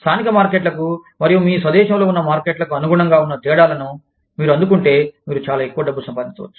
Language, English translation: Telugu, If you adapt to these differences, between the local markets, and the market in your home country, you could end up making, a lot more money